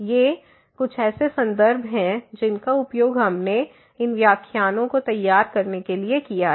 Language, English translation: Hindi, These are references which we have used to prepare these lectures and